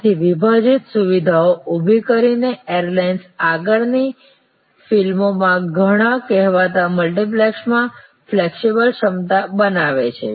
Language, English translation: Gujarati, So, by creating split facilities, airlines create the flexible capacity in many of the so called multiplexes in further movies